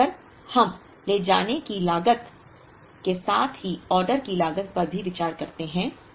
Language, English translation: Hindi, And, if we consider the order cost as well as the carrying cost